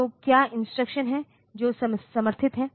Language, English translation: Hindi, So, what are the instructions that are supported